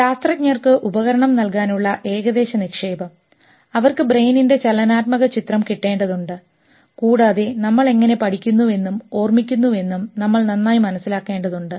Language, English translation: Malayalam, Approximate investment to give scientists the tool, they need to get a dynamic picture of brain and better understand how we think, learn and remember